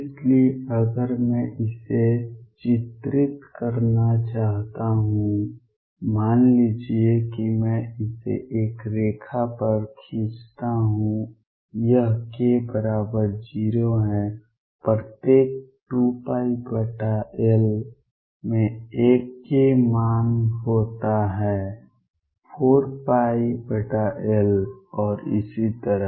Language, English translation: Hindi, So, if I want to picturize this suppose I draw it on a line this is k equal to 0 every 2 pi over L there is 1 k value 4 pi over L and so on